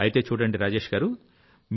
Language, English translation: Telugu, So let's talk to Rajesh ji